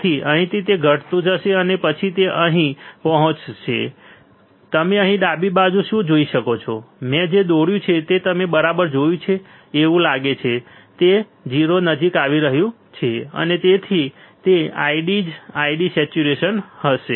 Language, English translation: Gujarati, So, from here it will go on decreasing and then it will reach here, what you can see here on the left side, what I have drawn you see right it looks like it is approaching 0, and that is why I D would be I D saturation